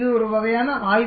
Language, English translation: Tamil, This is a typical study